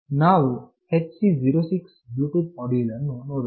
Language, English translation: Kannada, Let us see this HC 06 Bluetooth module